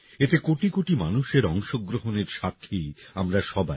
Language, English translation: Bengali, We are all witness to the participation of crores of people in them